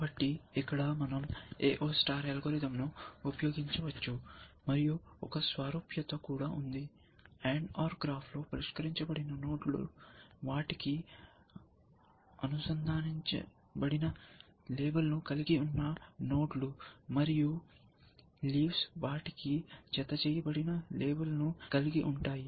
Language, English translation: Telugu, So, can we use the A O star algorithm here, there is also there is analogy, in the and over graph the solve nodes are nodes which have a label attached to them, and leaves also have a label attached to them